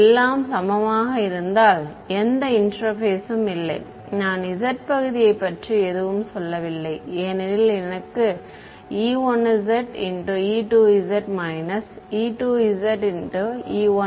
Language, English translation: Tamil, If everything is equal then there is no interface the z part right I have not said anything about the z part because I got e 1 multiplied by e 2 and e 2 multiplied by e 1